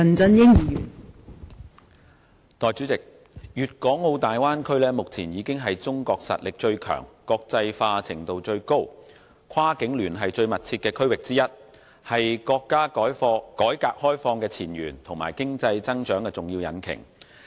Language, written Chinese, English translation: Cantonese, 代理主席，粵港澳大灣區目前已經是中國實力最強、國際化程度最高、跨境聯繫最密切的區域之一，是國家改革開放的前沿和經濟增長的重要引擎。, Deputy President the Guangdong - Hong Kong - Macao Bay Area has already become one of the regions in China with the greatest resources highest degree of internationalization and most frequent cross - boundary interactions . It is the frontier where the countrys reform and opening - up are located and the most important engine of the countrys economic growth